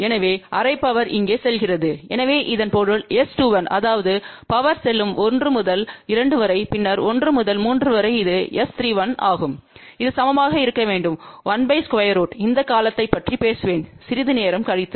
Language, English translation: Tamil, So, half power goes here half power goes here, so that means S 2 1 which is power going from 1 to 2 and then from 1 to 3 which is S 3 1 that should be equal to 1 by square root 2 I will talk about this term little later on